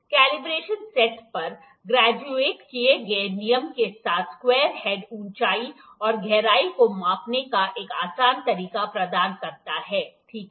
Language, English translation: Hindi, The square head along with the graduated rule on the combination set provides an easy way of measuring heights and depths, ok